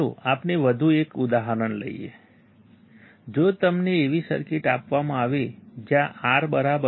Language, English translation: Gujarati, Let us take one more example; if you are given a circuit where R=3